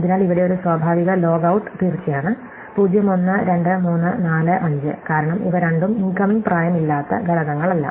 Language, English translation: Malayalam, So, for example here a natural order would just be of course, 0, 1, 2, 3, 4, 5, because both of these are now elements with no incoming edges